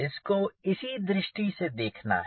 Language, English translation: Hindi, so this is one way of looking